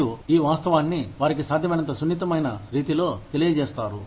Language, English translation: Telugu, You communicate this fact to them, in as sensitive a manner, as possible